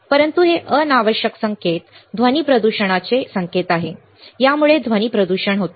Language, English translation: Marathi, But this is unwanted signal for the for the or this cause noise pollution right, this cause noise pollution